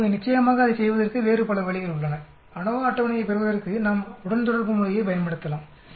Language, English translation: Tamil, Now of course there are different other ways of doing that if in order to get ANOVA table we can use a regression relationship to get the ANOVA